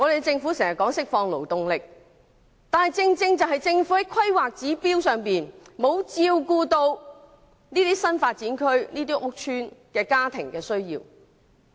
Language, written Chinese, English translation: Cantonese, 政府經常說要釋放勞動力，但《規劃標準》卻完全沒有照顧這些新發展區屋邨家庭的需要。, The Government always calls on the unleashing of workforce but HKPSG has failed to cater for the household needs of housing estates in the new development areas